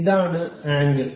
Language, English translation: Malayalam, This is angle